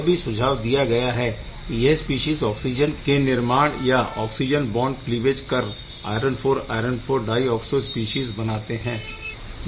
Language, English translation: Hindi, So, this species can undergo oxygen oxygen bond cleavage to give the iron IV iron IV dioxo species